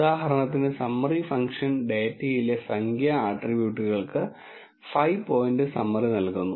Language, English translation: Malayalam, For example, summary function gives a 5 point summary for numeric attributes in the data